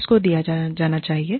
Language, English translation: Hindi, Who can be hired